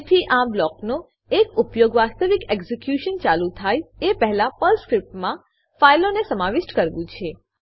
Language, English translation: Gujarati, So one of the use of this block is to include files inside a Perl script, before actual execution starts